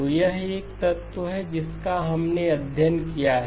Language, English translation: Hindi, So this is one element that we have studied